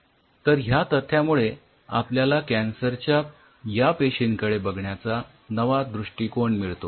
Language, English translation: Marathi, so that brings us to a very different way of looking at cancer